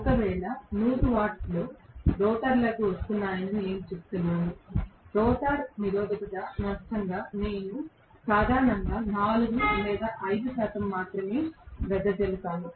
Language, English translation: Telugu, If, I say 100 watts are coming into the rotor I may have only 4 or 5 percent being dissipated generally as the rotor resistance loss